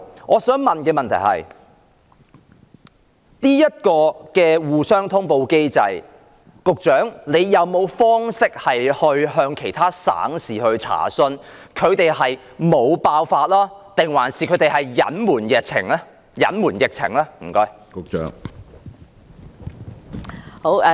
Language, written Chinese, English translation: Cantonese, 我想問在這個通報機制下，局長有否渠道向其他省市查詢，當地沒有爆發疫情還是隱瞞疫情呢？, May I ask the Secretary whether she has any channel to make equiries about the outbreak in other provinces and municipalities under this notification mechanism or whether the outbreak is being covered up?